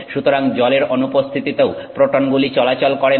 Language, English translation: Bengali, So in the absence of water the protons don't move around